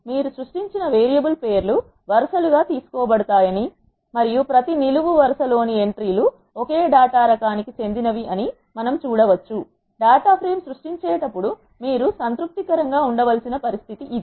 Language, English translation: Telugu, So, we can see that the names of the variables you have created are taken as columns and the entries in the each column are of the same data type; this is the condition which you need to be satisfying while creating a data frame